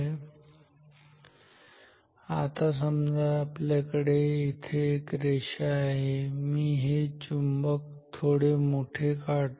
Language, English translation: Marathi, Now, let us consider say a line here, let me make this magnet a bit bigger